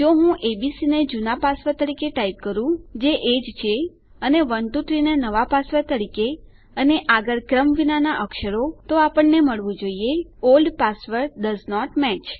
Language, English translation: Gujarati, If I type abc as my old password, which it is, and 123 as my new password and random letters in the next, we should get.....Oh Old password doesnt match